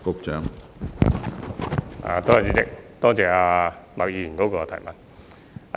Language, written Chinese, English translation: Cantonese, 主席，多謝麥議員的補充質詢。, President I thank Ms MAK for her supplementary question